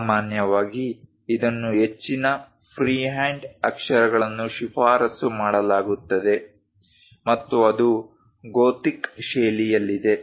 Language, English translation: Kannada, Usually, it is recommended most freehand lettering, and that’s also in a gothic style